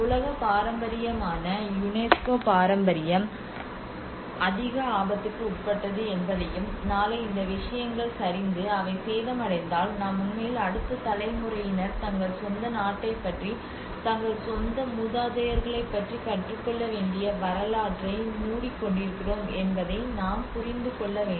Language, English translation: Tamil, And this is where one has to understand that the heritage which is UNESCO world heritage it is subject to the high risk and tomorrow if these things get collapsed and they get damaged then we are actually closing the history we are actually bringing an intense damage to the history the where the next generations has to learn about their own country their own ancestors